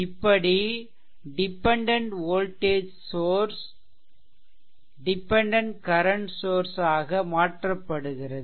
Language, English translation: Tamil, So, dependent voltage source will be converted to dependent current source right